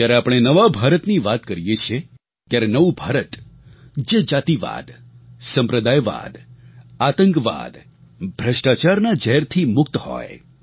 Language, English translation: Gujarati, When we talk of new India then that new India will be free from the poison of casteism, communalism, terrorism and corruption; free from filth and poverty